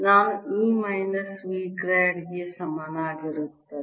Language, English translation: Kannada, i have e equals minus grad of v